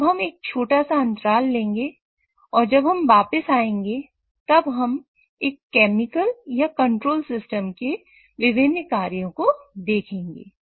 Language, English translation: Hindi, So, we'll take a short break and when we come back, we'll look at what are the different functions of a chemical or control system